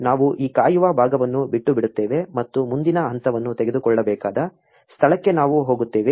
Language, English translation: Kannada, We will just skip this waiting part and we will go where the next step needs to be taken